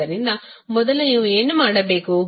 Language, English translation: Kannada, So, first what you have to do